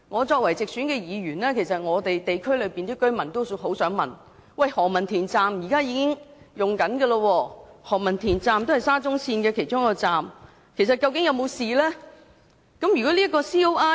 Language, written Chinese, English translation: Cantonese, 作為直選議員，我得悉區內居民都很想知道，現已啟用的何文田站也是沙中線其中一個站，究竟該站是否安全？, As a directly elected Member I understand that local residents are very eager to know if Ho Man Tin Station one of the SCL stations which has been commissioned is safe